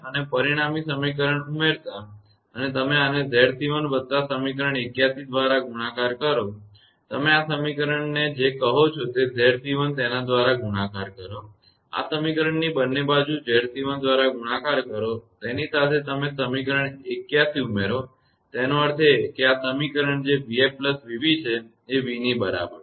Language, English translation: Gujarati, And adding the resulting equation and you multiply this one by Z c 1 plus equation 81; you multiply this equation by your what you call Z c 1; this equation multiply both side by Z c 1, with that you add equation 81; that means, this equation that v f plus v b is equal to v